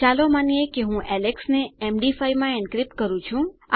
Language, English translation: Gujarati, Lets say I encrypt alex to Md5